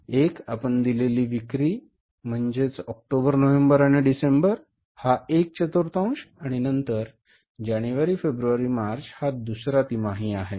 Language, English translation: Marathi, One is the sales you are given is October, November and December, this is one quarter and then January, February, March, this is another quarter